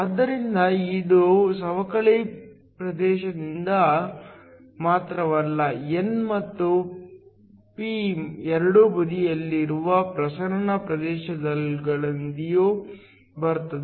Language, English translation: Kannada, So, it not only comes from the depletion region, but also from the diffusion regions in both the n and the p side